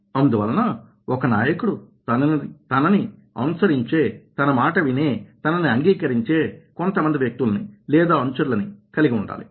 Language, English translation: Telugu, so a leader must have some people who will follow, who will listen, who will get convinced